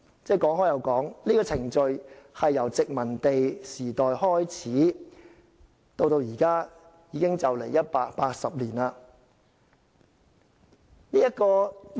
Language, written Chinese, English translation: Cantonese, 這個程序由殖民地時代開始運作，至今已接近180年。, This procedure has been put in place for around 180 years since the colonial era